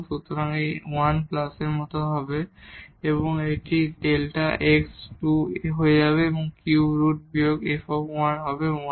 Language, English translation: Bengali, So, it will be like 1 plus and this will become delta x square and the cube root minus f 1 will be 1